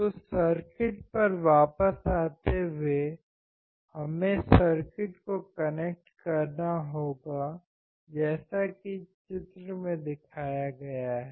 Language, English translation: Hindi, So, coming back to the circuit, we had to connect the circuit as shown in figure